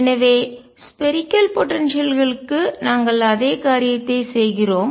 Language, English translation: Tamil, So, we do exactly the same thing for spherical potentials